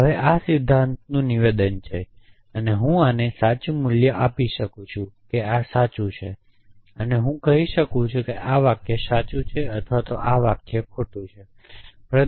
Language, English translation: Gujarati, Now, that is the statement in principle off course, I can give a truth value to this by saying that this is true this could I could say this is a true sentence or this is a false sentence